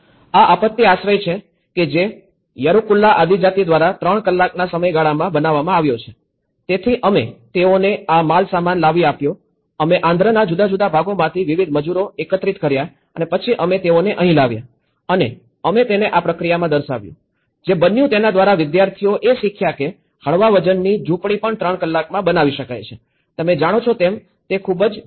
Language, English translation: Gujarati, This is a disaster of shelter which has been built by yerukula tribe in 3 hoursí time, so we brought them procure the material, we collected the various labourers from different parts of Andhra and then we brought them here and we demonstrated and in this process, what happened is students have learned that even a lightweight hut can be made in 3 hours, you know which is very quick